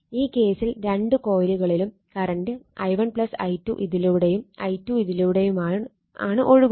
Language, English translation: Malayalam, So, in that case both the coils say this current your, i 1 plus i 2 flowing through this and i 2 is flowing through this